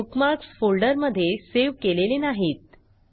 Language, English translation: Marathi, Notice that we have not saved these bookmarks to a folder